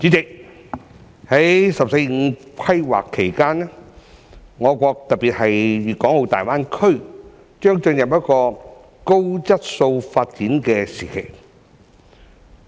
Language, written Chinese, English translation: Cantonese, 代理主席，在"十四五"規劃期間，我國特別是粵港澳大灣區，將進入高質素發展的時期。, Deputy President during the 14th Five - Year Plan our country especially the Guangdong - Hong Kong - Macao Greater Bay Area will enter a period of quality development